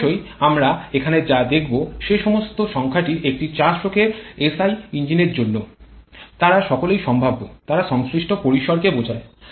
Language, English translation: Bengali, Of course, the numbers all what we are showing here is for 4 stroke a SI engine, they are all tentative, they are more representative of the corresponding ranges